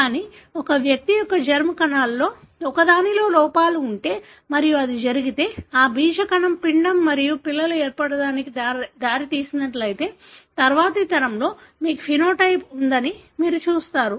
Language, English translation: Telugu, But, if there are defects that happen in one of the germ cells of an individual and if it so happens that that germ cell led to the formation of an embryo and children, then you would see that, in next generation onwards you have the phenotype